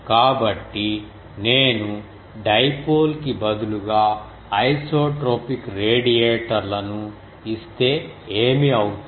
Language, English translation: Telugu, So, what will be if you do that instead of dipole if I give the isotropic radiators